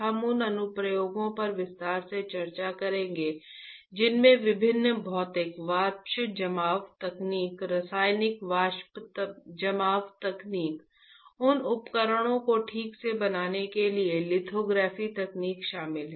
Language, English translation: Hindi, We will be discussing those applications in detail including different physical vapor deposition techniques, chemical vapor deposition techniques, lithography techniques to fabricate those devices alright